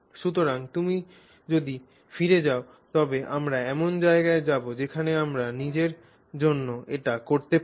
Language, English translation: Bengali, So that is what we will do So, if you go back, we will go to a place where we can do that for ourselves